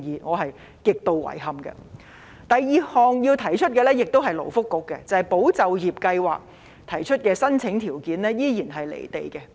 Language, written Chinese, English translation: Cantonese, 第二個問題同樣涉及勞工及福利局，便是"保就業"計劃的申請資格依然"離地"。, The second issue also concerns the Labour and Welfare Bureau which is the eligibility for the Employment Support Scheme ESS being disconnected with the reality